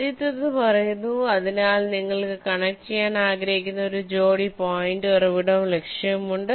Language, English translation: Malayalam, the first one says: so you have a pair of points source and target which you want to connect